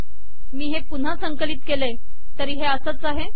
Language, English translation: Marathi, If I compile once more, this is exactly the same